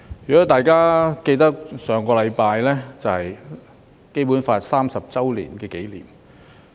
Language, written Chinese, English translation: Cantonese, 如果大家記得，上星期是《基本法》頒布30周年紀念。, Members may recall that last week marked the 30 anniversary of the promulgation of the Basic Law